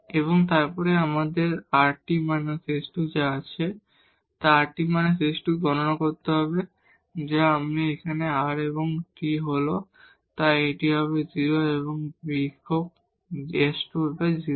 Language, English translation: Bengali, And then so what we have rt minus s square we need to compute rt minus s square, so this is r and t here, so, this will be 0 and minus s square 0